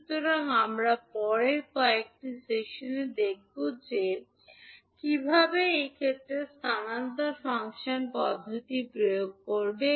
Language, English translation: Bengali, So, we will see in next few sessions that the, how will apply transfer function method in those cases